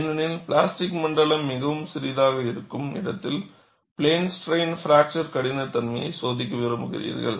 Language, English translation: Tamil, Because you are wanting to do plane strain fracture toughness, where the plastic zone is very very small